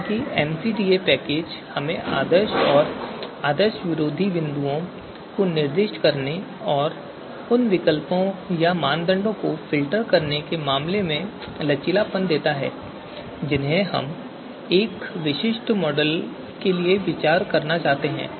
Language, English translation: Hindi, However, the MCDA package gives us flexibility in terms of specifying the ideal and anti ideal points and also in terms of you know filtering the alternatives that we would like to consider for a specific model or the criteria that we would like to you know consider for a specific model